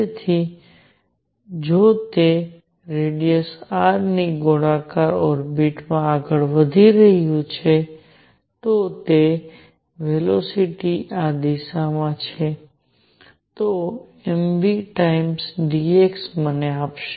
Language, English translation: Gujarati, So, if it moving in a circular orbit of radius r, its velocity is in this direction, then m v times dx will give me